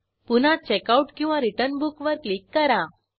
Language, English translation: Marathi, Again click on Checkout/Return Book